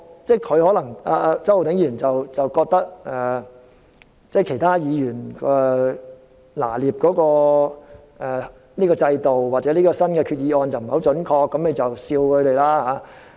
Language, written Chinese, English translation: Cantonese, 周浩鼎議員可能覺得其他議員對制度或這項決議案的拿捏不太準確，所以便取笑他們。, Mr Holden CHOW may think that other Members do not understand the system or this Resolution too accurately and so he ridiculed them